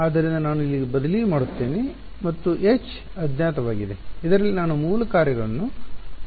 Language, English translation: Kannada, So, I will just substituted over there and H is the unknown which in which I will replace the basis functions